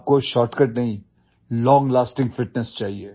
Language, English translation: Hindi, You don't need a shortcut, you need long lasting fitness